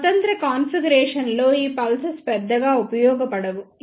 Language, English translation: Telugu, In standalone configuration these pulses are of not very use